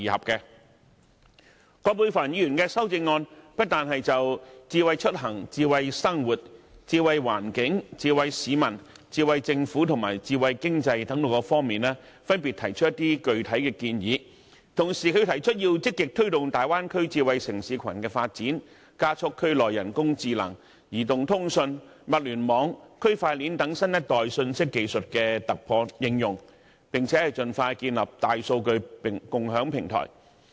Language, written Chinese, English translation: Cantonese, 葛珮帆議員的修正案不單就智慧出行、智慧生活、智慧環境、智慧市民、智慧政府及智慧經濟等方面分別提出具體建議，同時，她又提出要積極推動粵港澳大灣區智慧城市群的發展，加速區內人工智能、移動通信、物聯網和區塊鏈等新一代信息技術的突破應用，並盡快建立大數據共享平台。, Dr Elizabeth QUAT not only sets out in her amendment specific suggestions in such respects as smart mobility smart living smart environment smart people smart government and smart economy she also calls for the proactive promotion of the development of a smart city cluster in the Guangdong - Hong Kong - Macao Bay Area speeding up of the ground breaking and application of new - generation information technologies such as artificial intelligence mobile communications Internet of Things and blockchain in the region as well as the expeditious establishment of a sharing platform for big data